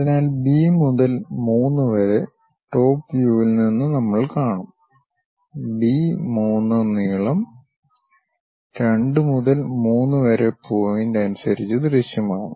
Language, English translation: Malayalam, So, from B to 3 which we will see it from the top view when we are looking at top view, the B 3 length is quite visible, in terms of 2 to 3 point